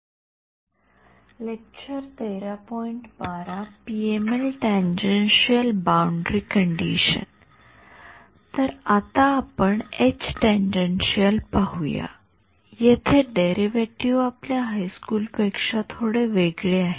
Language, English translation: Marathi, So, now, let us look at the H tan, here is where the derivation differs a little bit from your high school derivation